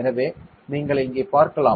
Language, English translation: Tamil, So, you can see here